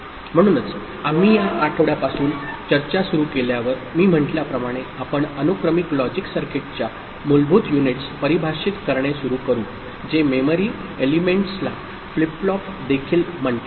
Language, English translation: Marathi, So, with this we start this week’s discussion as I said, we shall start with defining basic units of sequential logic circuit which is memory element also called flip flop